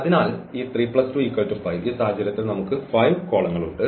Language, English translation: Malayalam, So, this two 3 plus 2 will add to that 5 in this case we have 5 columns